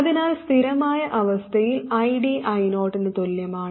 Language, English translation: Malayalam, So in steady state, ID equals I 0